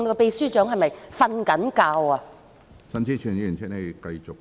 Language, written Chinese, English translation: Cantonese, 秘書長是否睡着了？, Has the Secretary General fallen asleep?